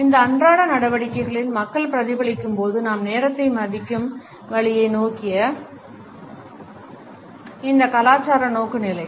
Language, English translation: Tamil, These cultural orientations towards the way we value time as people are reflected in our day to day activities also